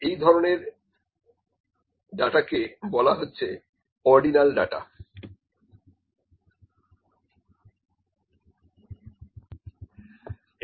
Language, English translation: Bengali, That kind of data is known as ordinal data